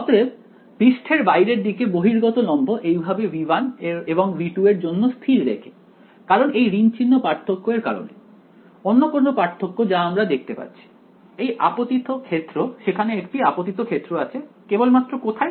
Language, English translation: Bengali, So, for the outward the surface the outward normal being fixed this way for V 1 and V 2 because of minus sign difference; any other difference that we notice the incident field there is a incident field only in